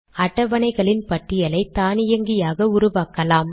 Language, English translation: Tamil, We can create a list of tables automatically